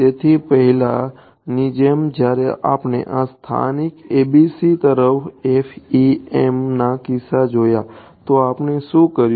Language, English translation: Gujarati, So, as before when we looked at this local ABC in the case of FEM what did we do